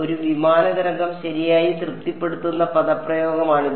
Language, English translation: Malayalam, This is the expression that a plane wave satisfies right